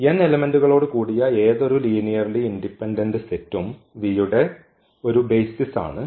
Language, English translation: Malayalam, Any linearly independent set when n is a basis of V with n element this is a basis